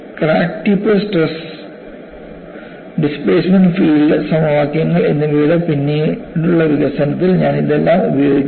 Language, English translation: Malayalam, You know, I would use all of this in our later development of crack tip stress and displacement field equations